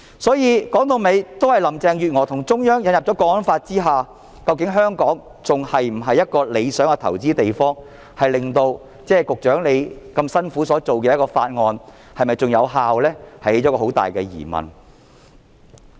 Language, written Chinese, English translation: Cantonese, 所以，說到底，在林鄭月娥與中央引入了《港區國安法》之後，究竟香港還是否一個理想的投資地方，令到局長如此辛苦訂立的一項法案仍然有效這方面起了一個很大的疑問。, For that reason in essence after Carrie LAM and the Central Government have introduced the National Security Law in HKSAR will Hong Kong still be an ideal place for them to make investment? . This has posed a big question about the effectiveness of the legislation which has been made by the Secretarys hard work